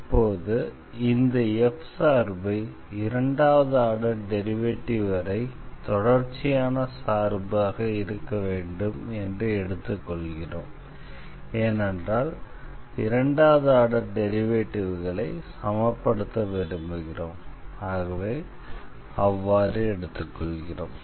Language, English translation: Tamil, So, now we need to assume that this f to be continuous up to second order partial derivatives because we want to assume the equality of the second order derivatives and for that this is sufficient to assume that f is continuous up to second order derivative